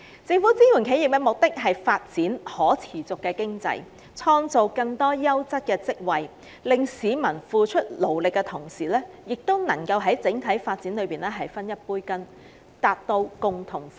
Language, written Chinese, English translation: Cantonese, 政府支援企業的目的，是為了經濟的可持續發展，並創造更多優質職位，令市民在付出勞力的同時，亦能在整體經濟發展中分一杯羹，達致"共同富裕"。, The Governments support for enterprises is meant for sustainable development of the economy and the creation of more quality job posts to the effect that people can in return for their hard work share the fruits of success brought about by our overall economic development so as to achieve common prosperity for everyone